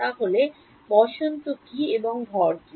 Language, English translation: Bengali, So, what is the spring and what is the mass